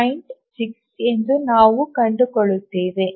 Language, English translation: Kannada, 6 we'll come to that